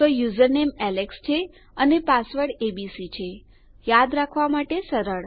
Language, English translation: Gujarati, Okay so user name is Alex and password is abc easy to remember